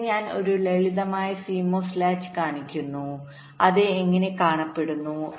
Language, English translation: Malayalam, here i show a simple cmos latch how it looks like